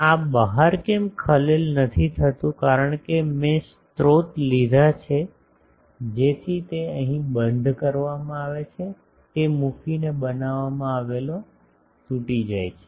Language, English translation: Gujarati, But why this outside is not is getting disturbed because I have taken the sources so that it becomes the discontinuity that is created by placing these that is tackled here